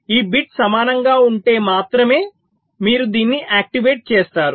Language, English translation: Telugu, only if this bits are equal, then only you activate this